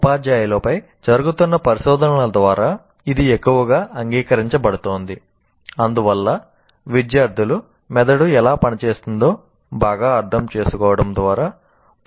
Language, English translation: Telugu, Now it is increasingly getting accepted through the research that is going on that teachers and therefore students also can benefit from better understanding how the brain works